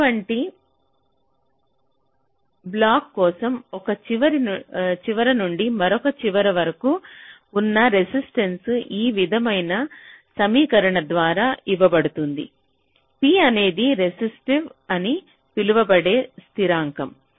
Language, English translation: Telugu, now for such a block, you know that the resistance from one end to the other is given by an equation like this: rho is the constant called the resistivity